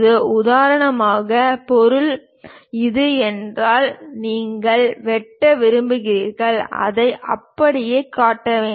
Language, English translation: Tamil, For example, if the object is this; you want to cut, you do not just show it in that way